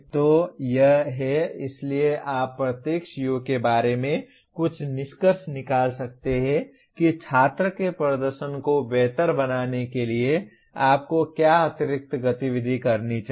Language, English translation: Hindi, So this is, so you can draw some conclusions about each CO what additional activity that you should do to improve the performance of the student